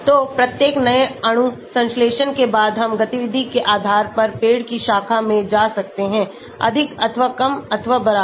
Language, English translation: Hindi, So, after each new molecule synthesis we can go into the branch of the tree depending upon the activity is more, or less or equal